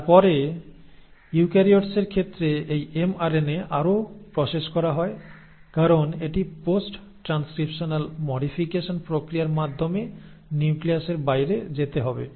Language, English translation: Bengali, And then in case of eukaryotes this mRNA is further processed, because it needs to go out of the nucleus through the process of post transcriptional modification